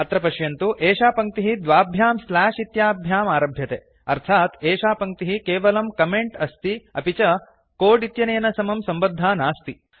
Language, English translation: Sanskrit, Notice that this line begins with two slashes which means this line is the comment and has nothing to do with our code